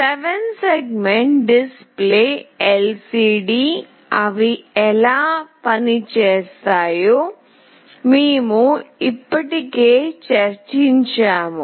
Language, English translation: Telugu, We have already discussed about 7 segment display, LCD, how they work